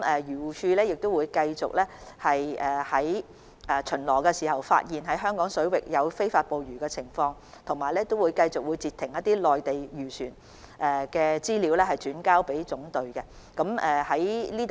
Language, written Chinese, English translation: Cantonese, 漁護署會繼續在巡邏時查看香港水域是否有非法捕魚情況，亦會繼續將未能截停的內地漁船資料轉交總隊。, AFCD will during patrols continue to check whether there is illegal fishing in Hong Kong waters and it will continue to hand over to the General Brigade information on Mainland fishing vessels which have not been intercepted